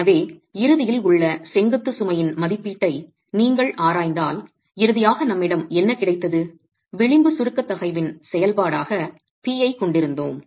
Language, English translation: Tamil, So, what we finally had if you are examining the estimate of the vertical load at failure, we had p as a function of the edge compressive stress